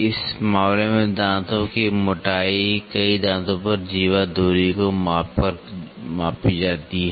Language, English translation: Hindi, In this case tooth thickness is measured by measuring the chordal distance over a number of teeth